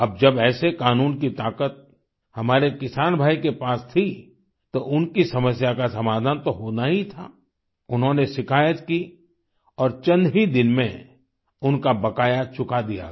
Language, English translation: Hindi, Now, with our farmer brother empowered with this law, his grievance had to be redressed ; consequently, he lodged a complaint and within days his outstanding payments were cleared